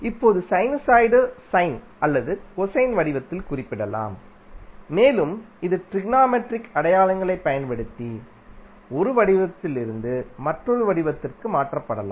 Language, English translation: Tamil, Now, sinusoid can be represented either in sine or cosine form and it can be transformed from one form to other from using technometric identities